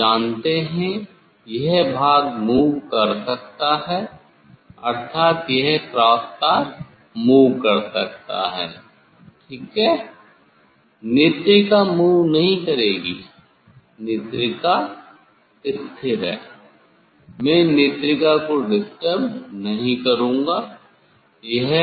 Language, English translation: Hindi, You know this part will move; that means, this cross wire will move ok, eye piece will not move; eye piece is fixed I will not disturb eye piece